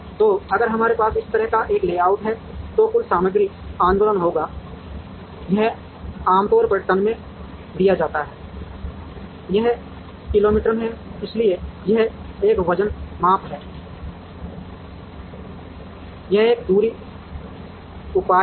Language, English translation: Hindi, So, if we have this kind of a layout, then the total material movement will be this is usually given in tons, this is in kilo meter, so this is a weight measure, this is a distance measure